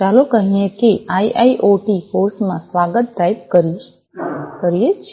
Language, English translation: Gujarati, Let us say that we type in welcome to IIoT course